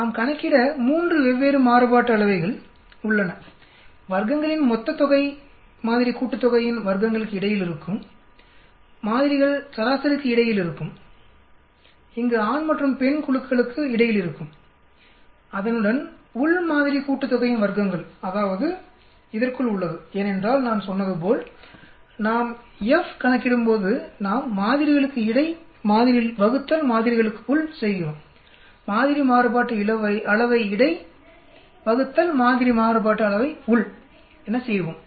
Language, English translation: Tamil, There is 3 different variances we need to calculate, the total sum of squares will be between sample sum of squares, between samples means between here groups the male and the female, plus within sample sum of squares that is within this, because as I said when we calculate F we do a between sample divided by within samples, we will do between sample variance divided by within sample variance